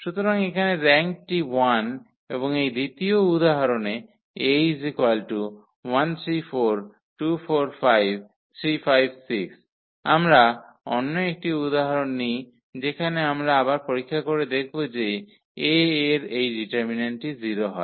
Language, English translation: Bengali, So, here the rank is 1 and in this example 2, we take another example where we check that again this determinant of A is 0